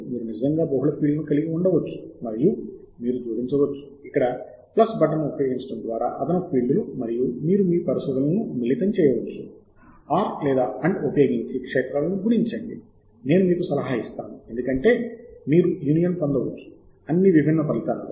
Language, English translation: Telugu, you can actually have multiple fields and you can add additional fields by using the plus button here, and you can combine your searches across multiple fields using either R or and I would advise R, because you can get a union of all the different results